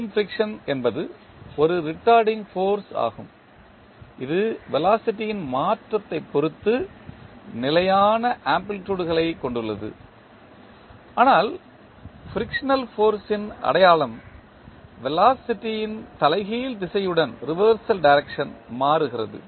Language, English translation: Tamil, The Coulomb friction is a retarding force that has constant amplitude with respect to the change of velocity but the sign of frictional force changes with the reversal direction of the velocity